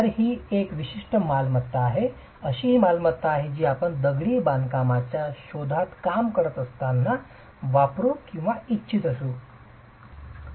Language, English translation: Marathi, So, this particular property is more a property that you might want to use when you are working in masonry research